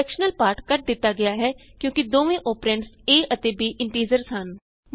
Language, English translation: Punjabi, The fractional part has been truncated as both the operands a and b are integers